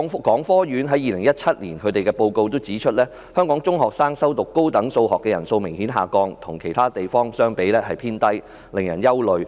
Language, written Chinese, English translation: Cantonese, 港科院2017年報告指出，香港中學生修讀高等數學的人數明顯下降，與其他地方相比屬於偏低，令人憂慮。, According to the report of The Academy of Sciences of Hong Kong in 2017 enrolment in advanced Mathematics of secondary school students in Hong Kong has obviously dropped to a low level when compared with other places